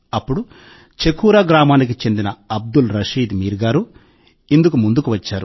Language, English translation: Telugu, And lo and behold… Abdul Rashid Mir of Chakura village was the first to come forward for this